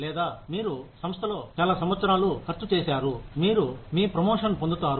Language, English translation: Telugu, Or, you have spent, so many years in the organization, you get your promotion